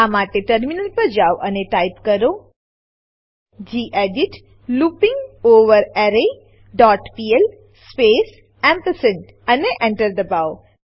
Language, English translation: Gujarati, Switch to the terminal and type gedit arrayLength dot pl space ampersand Press Enter